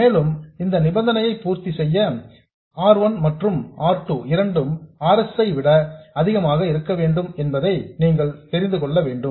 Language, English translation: Tamil, And for this condition to be satisfied, you know that both R1 and R2 have to be much more than RS